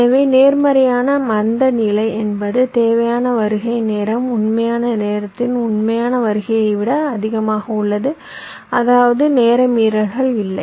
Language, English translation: Tamil, so a positive slack means your required arrival time is greater than the actual time, actual arrival, which means the timing violation not there